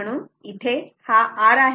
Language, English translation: Marathi, So, r is equal to 0